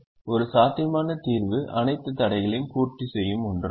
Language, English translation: Tamil, a feasible solution is one that satisfies all the constraints